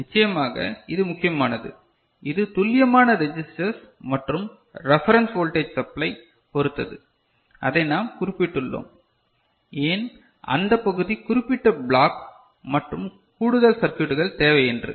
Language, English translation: Tamil, Of course, this is one important element, it depends on the precision registers and the reference voltage supply, which we mentioned that why that part particular block and additional circuitry required ok